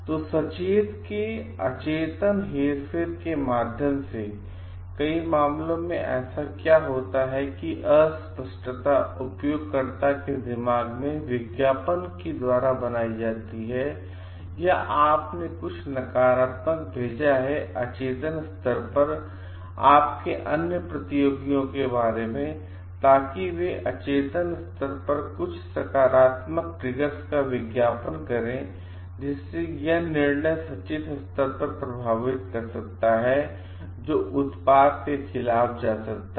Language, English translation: Hindi, So, through subliminal manipulation of the conscious this is where you since an advertisement certain positive triggers at the at the subliminal level, or you sent some negative suggestions about your other competitors at the subliminal level, and that may affect the decision making at the conscious level, which may go for against the product